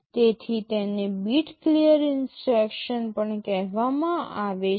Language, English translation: Gujarati, So, this is also called a bit clear instruction